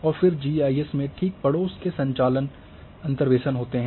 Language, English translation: Hindi, And then the typical neighbourhood operations in GIS are interpolation